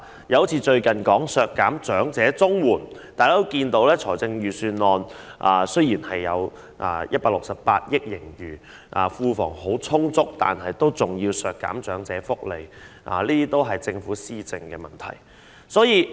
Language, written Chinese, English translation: Cantonese, 又例如最近的削減長者綜援措施，儘管財政預算案披露本年度有168億元盈餘，庫房資源很充足，但仍要削減長者福利，這都是政府的施政問題。, The recent initiative made to raise the eligible age for elderly Comprehensive Social Security Assistance is another example . Although it is announced in the Budget that a financial surplus of 16.8 billion is recorded this year and our financial resources are ample an initiative is still made to reduce elderly benefits . This is in fact a problem with the governance of the Government